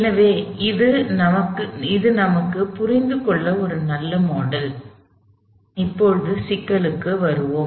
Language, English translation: Tamil, So, this is a nice model for us to understand, I use of this problem, so let us get back to the problem now